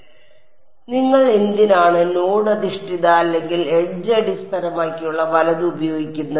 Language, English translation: Malayalam, So, why would you use node based or edge based right